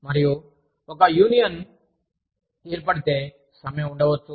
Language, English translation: Telugu, And, if a union is formed, there could be a strike